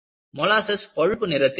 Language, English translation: Tamil, Molasses is brown